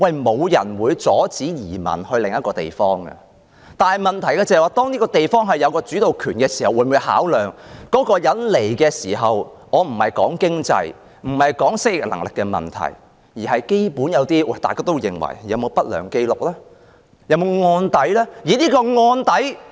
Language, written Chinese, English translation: Cantonese, 沒有人會阻止他人移民到另一個地方，但當一個地方有審批申請的主導權時，除了考量有關申請者的經濟或適應能力問題外，會否最基本考慮他有否不良紀錄或案底呢？, No one will prevent anyone from emigrating to another place . But when the authorities of a place have the initiative in the vetting and approval of the applications apart from considering the financial situation or the adaptability of the applicant will they consider the basic condition of whether he has an adverse record or a criminal record?